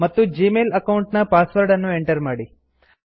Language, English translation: Kannada, And, finally, enter the password of the Gmail account